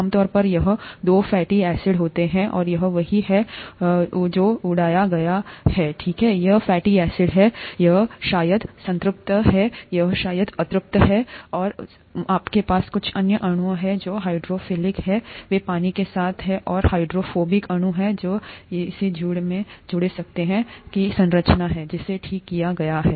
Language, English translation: Hindi, Typically there are two fatty acids here and this is what has been blown up here, right, these are the fatty acids, this is probably saturated, this is probably unsaturated, and you have some other molecules here which are hydrophilic, they like water, and these are hydrophobic molecules, and this is a structure of one of this pair blown up, okay